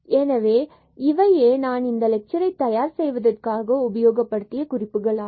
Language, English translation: Tamil, So, these are the references used for the preparation of this lecture